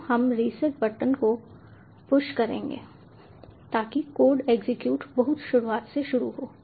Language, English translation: Hindi, so we will push the reset button so that the code execution starts from the very beginning